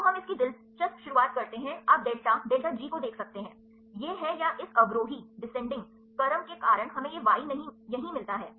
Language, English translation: Hindi, So, we start its interesting you can see the delta delta G ok, this is the or because of this descending order we get this Y here right